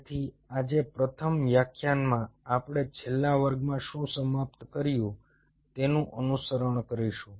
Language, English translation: Gujarati, so the first lecture today we will be follow up on what we finished in the last class